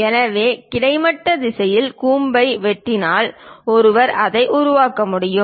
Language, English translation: Tamil, So, slicing the cone in the horizontal direction, one can make it